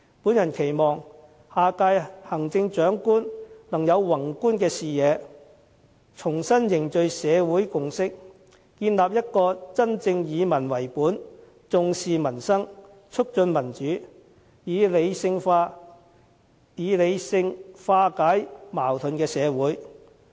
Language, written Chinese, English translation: Cantonese, 我期望下屆行政長官能有宏觀的視野，重新凝聚社會共識，建立一個真正以民為本，重視民生，促進民主，以理性化解矛盾的社會。, I hope that the next Chief Executive can once again seek to forge a social consensus with a broad vision so as to build a truly people - oriented society that emphasizes peoples livelihood promotes democracy and seeks sensible solution to conflicts